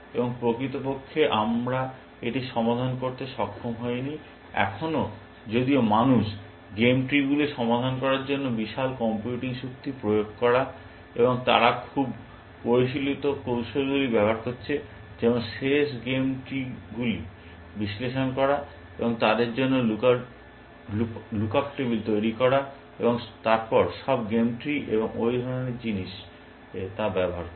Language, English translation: Bengali, And in fact, we do not we have an been able to solve it, still now even though people, putting massive computing power towards solving game trees, and they are using very sophisticated techniques like, analyzing the end games, and creating of look up tables for them and then using those to, so all the games trees and that kind of stuff